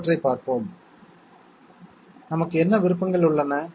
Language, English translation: Tamil, Let us see the others, what options we have